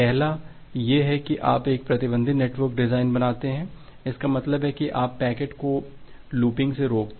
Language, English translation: Hindi, The first one is that you make a restricted network design; that means you prevent the packets from looping